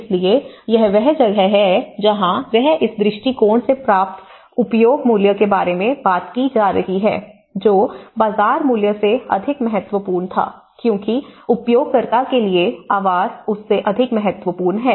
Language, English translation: Hindi, So, that is where he talks about the use value derived from this approach was more significant than the market value, as what housing does for the user is more important than what it is